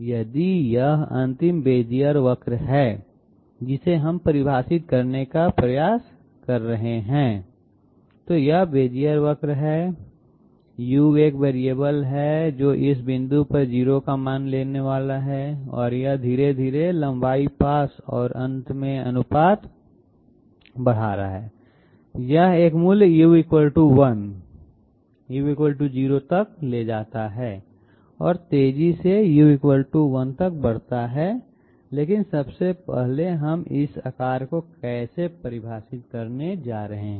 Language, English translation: Hindi, If this is the final Bezier curve which we are attempting to define, this is the Bezier curve, U is a variable which is supposed to take a value of 0 at this point and it is gradually increasing proportionate to the length pass and at the end of the curve, it takes up a value U = 1, U = 0 and steadily increasing to U = 1 that is good, but how are we 1st of all defining this shape